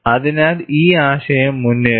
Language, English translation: Malayalam, So, this concept was advanced